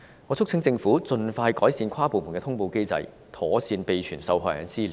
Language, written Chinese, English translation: Cantonese, 我促請政府盡快改善跨部門的通報機制，妥善備存受害人的資料。, I urge the Government to promptly improve the interdepartmental notification mechanism and maintain the figures of victims properly